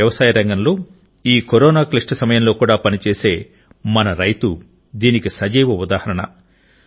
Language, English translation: Telugu, In this difficult period of Corona, our agricultural sector, our farmers are a living testimony to this